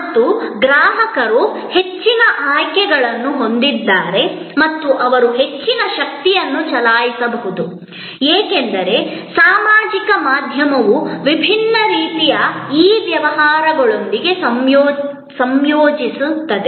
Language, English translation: Kannada, And that is that customers have lot more choices and they can exercise lot more power, because of the social media combine with different types of e businesses